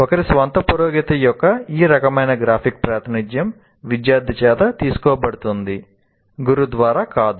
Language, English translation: Telugu, This kind of graphic representation of one's own progress is drawn by the student, not by the teacher